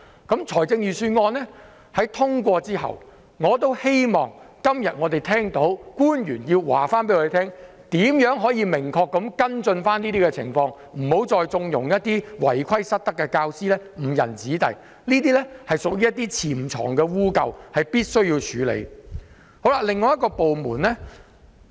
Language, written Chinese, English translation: Cantonese, 今天當預算案獲得通過後，我希望官員可以明確告訴我們會如何跟進相關情況，別再縱容一些違規失德的教師誤人子弟，這些潛藏的弊端必須處理。, After the passage of the Budget today I hope that officials will tell us how exactly they will follow up on the situations concerned . Teachers who violate the law and misbehave should not be condoned anymore otherwise they will lead young people astray . Such hidden evils must be dealt with